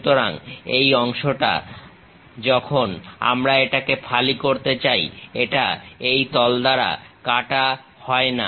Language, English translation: Bengali, So, this part when slice we are going to make it, that part is not chopped off by this plane